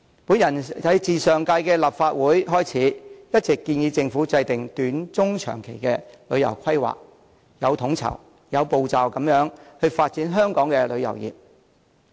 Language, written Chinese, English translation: Cantonese, 我自上屆立法會開始，一直建議政府制訂短、中、長期的旅遊規劃措施，有統籌、有步驟地發展香港的旅遊業。, Ever since I joined the Legislative Council in the last term I have been proposing to the Government that short - medium - and long - term tourism planning initiatives have to be formulated to develop tourism in Hong Kong in a coordinated and well - planned manner